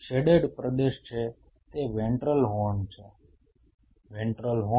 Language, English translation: Gujarati, The shaded region is the ventral horn, ventral horn